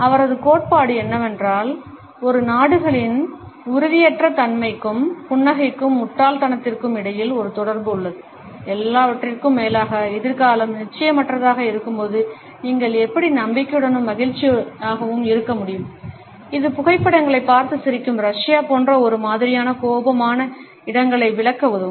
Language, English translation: Tamil, His theory is that there is a connection between a countries level of instability and finding smiling stupid, after all how can you be so confident and happy when the future is uncertain, that might help explain stereotypically frowny places like Russia, where smiling in photos is not really a thing